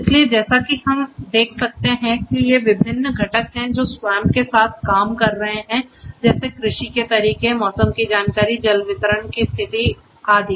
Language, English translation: Hindi, So, as we can see these are the different components which are interacting with SWAMP agricultural practice weather information status about you know the water distribution